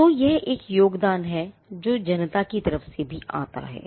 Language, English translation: Hindi, So, there is a contribution that comes from the public as well